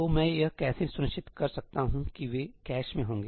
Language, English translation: Hindi, So, how can I ensure that they will be in the cache